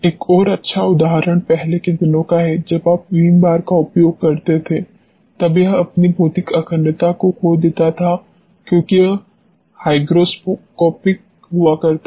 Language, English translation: Hindi, Another good example is earlier days when you use to use Vim bar it used to lose its physical integrity because it used to be hygroscopic